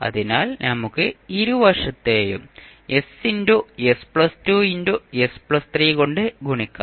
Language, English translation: Malayalam, So, what we can do, we can multiply both sides by s into s plus 2 into s plus 3